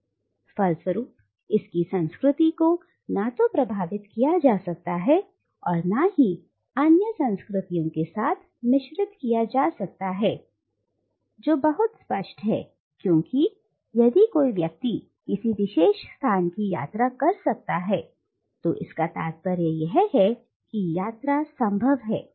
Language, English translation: Hindi, And consequently its culture cannot but be influenced by and mixed with other cultures which is very obvious because if someone can travel into a particular space, it means that travel is possible